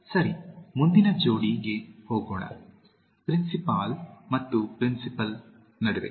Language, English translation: Kannada, Okay, let’s go to the next pair, between principal and principle